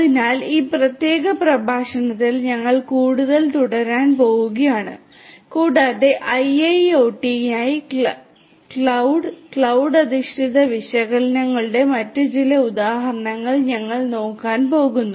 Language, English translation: Malayalam, So, we are going to continue further in this particular lecture and we are going to look at few other examples of use of cloud and analytics cloud based analytics in fact, for IIoT